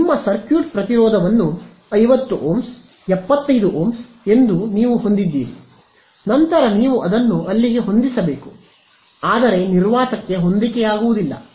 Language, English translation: Kannada, I mean you have your circuit impedance as let us say 50 Ohms, 75 Ohms and then you have to match it over there you yeah you cannot match free space